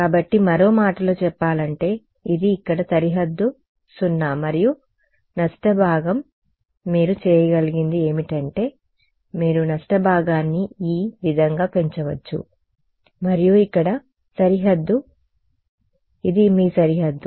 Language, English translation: Telugu, So, in other words supposing this is the boundary over here right 0 and the loss part what you can do is you can increase the loss part like this right and the boundary sitting here this is your boundary